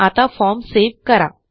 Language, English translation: Marathi, Now let us, save the form